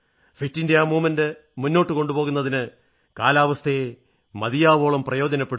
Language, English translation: Malayalam, Use the weather to your advantage to take the 'Fit India Movement 'forward